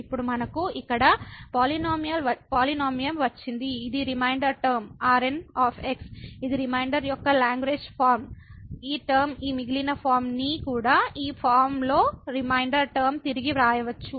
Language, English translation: Telugu, Well now, we got the polynomial here which is the remainder term the which is the Lagrange form of the remainder, this term we can also rewrite this remainder form in this form